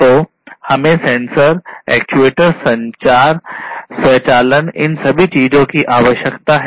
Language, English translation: Hindi, So, we need sensors, actuators, communication, automation all of these things